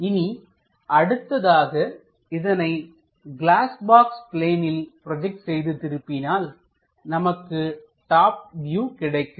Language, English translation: Tamil, Now project that onto that glass box plane and flip that plane then we will have a top view